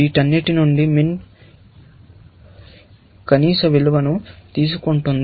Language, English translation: Telugu, Min is taking the minimum value from all these